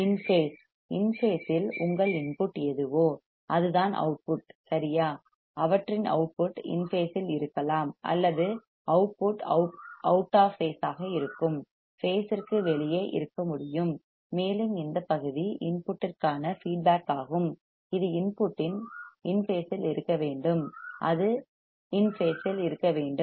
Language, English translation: Tamil, In phase, in phase means your input is this right their output can be in phase or out output can be out of phase, and this part is feedback to the input that should be in phase with the input, it should be in phase